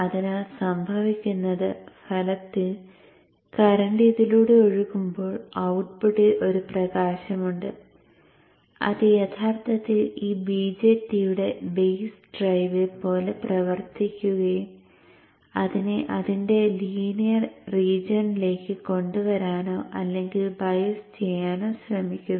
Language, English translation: Malayalam, So what happens in effect is that as the current flows through this, there is a light output which is actually acting like a base drive for this BGET and tries to bring it or bias it to its linear region